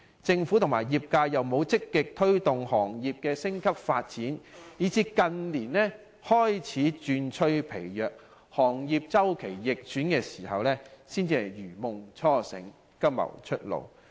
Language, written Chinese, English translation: Cantonese, 政府和業界又沒有積極推動行業升級發展，以致近年旅遊業日趨疲弱，周期逆轉時，才如夢初醒，急謀出路。, As the Government and the industry failed to proactively promote upgrading and development the tourism industry has become pretty sluggish in recent years . It is only when the cyclical downturn in recent years rang an alarm bell that we were aware of the need to find a way out